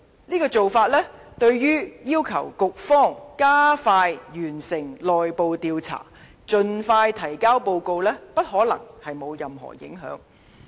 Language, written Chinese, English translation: Cantonese, 這種做法，對於要求局方加快完成內部調查，盡快提交報告，不可能沒有任何影響。, It will inevitably affect their investigation and prevent them from completing the investigation and submitting a report as soon as possible